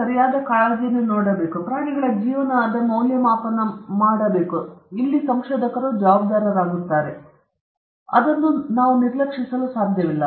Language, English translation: Kannada, Proper care has to be taken and the researchers have responsibility to value the life of animals as well; we cannot just ignore them